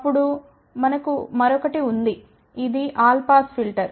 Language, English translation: Telugu, Then we have a another one which is a all pass filter